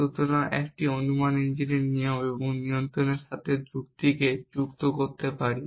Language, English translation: Bengali, So, we can associate logic with rules and control with an inference engine